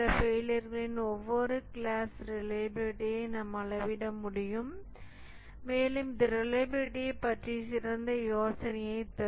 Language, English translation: Tamil, So, we can measure the reliability for each class of these failures and that will give a better idea of the reliability